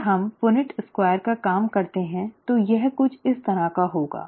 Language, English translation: Hindi, If we work out the Punnett square, it is going to be something like this